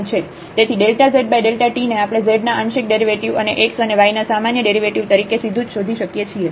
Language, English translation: Gujarati, So, dz over dt we can find out directly in terms of the partial derivatives of z and the ordinary derivatives of x and y